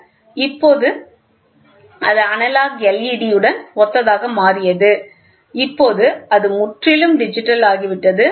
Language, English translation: Tamil, So, now, then later it became analogous with led, right and now it has become completely digital